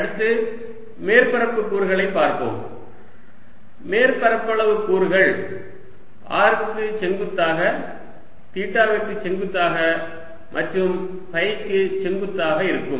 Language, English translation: Tamil, next, let's look at surface elements, surface area elements perpendicular to r, perpendicular to theta and perpendicular to phi